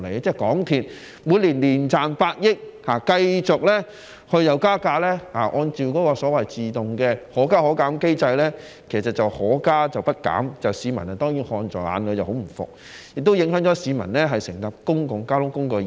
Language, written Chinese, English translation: Cantonese, 香港鐵路有限公司每年賺百億元，但又繼續按照所謂的"可加可減機制"自動加價，該機制只是可加，卻不減，市民看在眼裏當然十分不服氣，亦影響市民乘搭公共交通工具的意欲。, MTRCL earns tens of billion dollars each year but it continues increasing the fares automatically under the Fare Adjustment Mechanism which effects only increases but no reduction . The public is of course very dissatisfied with it and it also affects the publics desire to take public transport